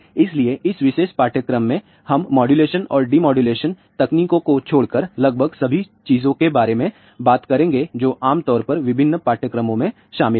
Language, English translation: Hindi, So, in this particular course, we will talk about almost all the things except for the modulation and demodulation techniques which is generally covered in different courses